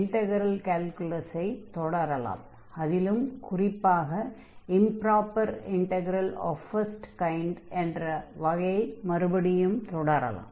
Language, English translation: Tamil, And we will continue our discussion on integral calculus, so in particular improper integrals of type 1